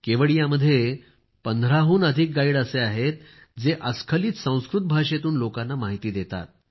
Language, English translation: Marathi, You will be happy to know that there are more than 15 guides in Kevadiya, who guide people in fluent Sanskrit